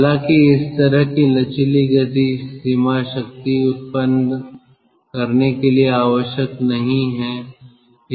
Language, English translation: Hindi, however, such a flexible speed range is not necessary to generate power